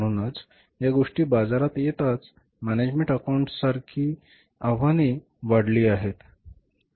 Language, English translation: Marathi, So, as these things have come up in the markets, the challenges to the management accountants have also increased